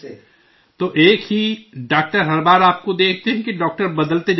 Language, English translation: Urdu, So every time is it the same doctor that sees you or the doctors keep changing